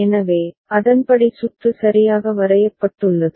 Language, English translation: Tamil, So, accordingly the circuit has been drawn ok